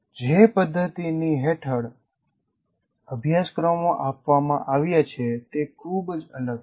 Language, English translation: Gujarati, So the system under which the course is offered is very different again